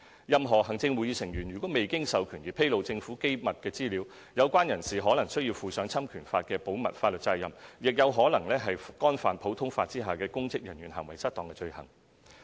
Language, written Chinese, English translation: Cantonese, 任何行政會議成員如未經授權而披露政府機密資料，有關人士可能須負上侵權法的保密法律責任，亦可能干犯普通法下的"公職人員行為失當"罪行。, If any Executive Council Member discloses classified government information without authority heshe may be liable for breach of confidence in tort as well as the common law offence of Misconduct in Public Office